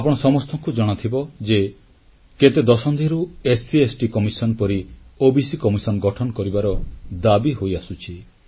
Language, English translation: Odia, As you know, a demand to constitute an OBC Commission similar to SC/ST commission was long pending for decades